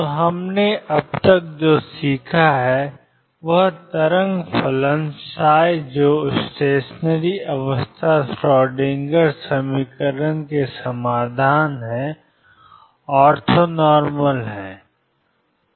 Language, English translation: Hindi, So, what we have learnt so far that wave function psi which are the solutions of the stationery state Schrodinger equation are orthonormal